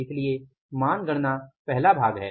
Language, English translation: Hindi, So, value calculation is the first part